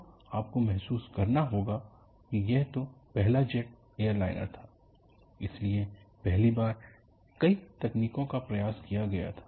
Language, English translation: Hindi, So, you have to realize, that was the first jet airliner;so, many technologies have to be tried for the first time